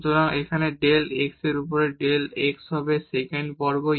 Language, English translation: Bengali, So, we get here the x x and then del z over del u